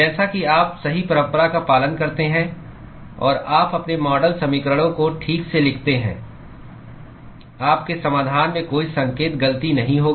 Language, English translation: Hindi, As lng as you follow correct convention, and you write your model equations properly, there will be no sign mistake that you will find in your solution